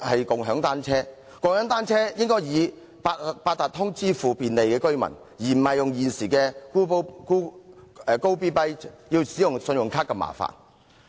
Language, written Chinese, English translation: Cantonese, 共享單車的費用應以八達通卡支付，便利居民，而不是如現時 Gobee.bike 要以信用卡支付般麻煩。, The charge of shared bicycles should be paid with Octopus Cards so as to give convenience to residents instead of inconveniently on credit cards as what Gobeebike currently requires